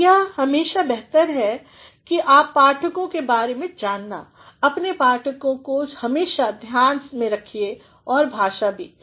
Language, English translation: Hindi, So, it is always better to be aware of readers, keep your readers always in mind as regards language